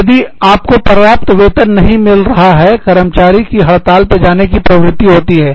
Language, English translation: Hindi, If you are not getting, enough salary, employees tend to go on strike